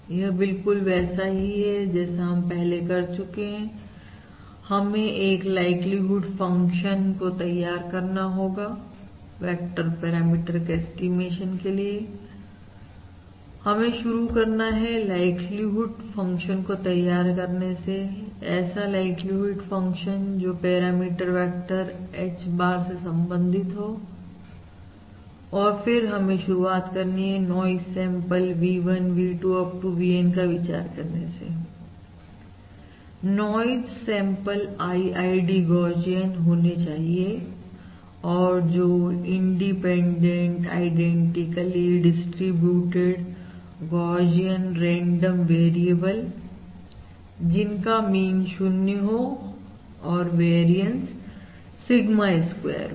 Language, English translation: Hindi, so any estimation, we have to start by developing the likelihood function for the est likelihood function corresponding to the parameter vector H bar, and again we will start with the same other mentioned, that is, we will start by considering the noise samples V1, V2, up to VN, the N noise samples to be IID, Gaussian, to be independent, identically distributed, Gaussian, random variables of mean 0 and variance Sigma square each